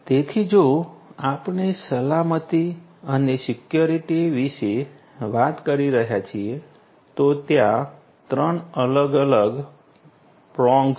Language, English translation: Gujarati, So, if we are talking about safety and security, there are three different prongs